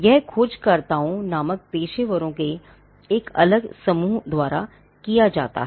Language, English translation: Hindi, It is done by a different set of professionals called searchers